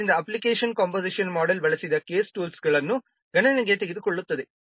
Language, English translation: Kannada, So application composition model takes the case tools used into account